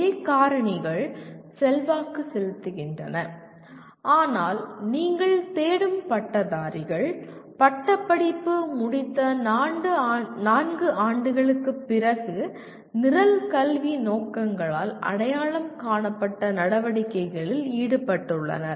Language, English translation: Tamil, The same factors influence but you are also looking for, the graduates are involved in activities four years after graduation identified by Program Educational Objectives